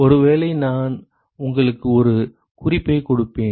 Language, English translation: Tamil, Maybe I will give you a hint